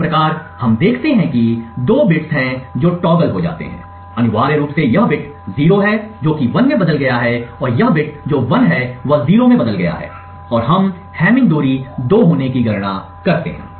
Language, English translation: Hindi, Thus, we see that there are two bits that get toggled, essentially this bit 0 has changed to 1 and this bit which is 1 has changed to 0 and we compute the hamming distance to be 2